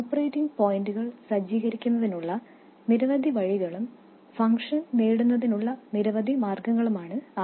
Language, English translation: Malayalam, There are many ways of setting the operating points and many ways of getting the function